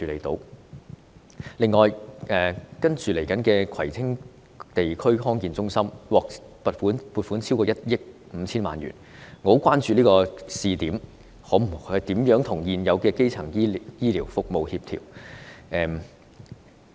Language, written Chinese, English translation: Cantonese, 此外，即將投入服務的葵青地區康健中心獲撥款超過1億 5,000 萬元，我很關注這項試點服務如何與現有基層醫療服務相協調。, In addition over 150 million has been earmarked to meet the operating expenditure of the district health centre in Kwai Tsing which is expected to commence operation soon . I am very concerned about the coordination of this pilot service with existing primary health care services